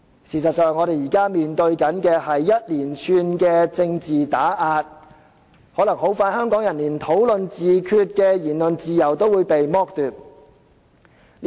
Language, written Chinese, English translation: Cantonese, 事實上，我們現時面對一連串政治打壓，可能香港人很快便會連討論自決的言論自由也被剝奪。, In fact in the face of a series of political suppression at present Hong Kong people may soon be deprived of the freedom to engage in discussions on self - determination